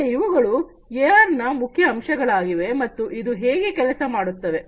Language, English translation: Kannada, So, these are the key aspects of AR and how it works